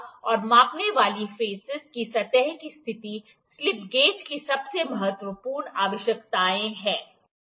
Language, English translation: Hindi, And surface conditions of the measuring faces are the most important requirements of slip gauges